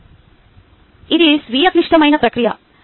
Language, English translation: Telugu, then it is a self critical process